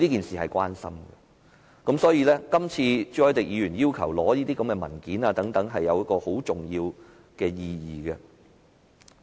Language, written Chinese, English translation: Cantonese, 所以，今次朱凱廸議員要求政府提供這些文件，有很重要的意義。, For this reason Mr CHU Hoi - dicks request for the Government to provide the documents has great significance